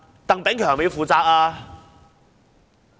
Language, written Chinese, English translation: Cantonese, 鄧炳強要負責嗎？, Should Chris TANG be held responsible?